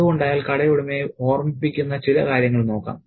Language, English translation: Malayalam, So, let's look at some of the things that he reminds the shop owner about